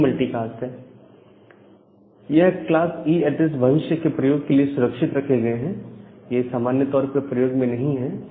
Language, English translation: Hindi, This class E IP addresses, they are reserved for future use, they are not normally used